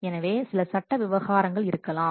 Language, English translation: Tamil, So, there might be some legal what affairs